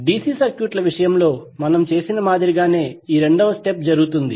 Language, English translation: Telugu, The second step is performed similar manner to what we did in case of DC circuits